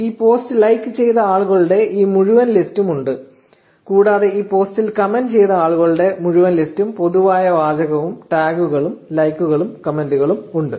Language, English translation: Malayalam, There is this entire list of people who have liked this post, and also the entire list of people who have commented on this post along with the common text and tags and likes on the comments etcetera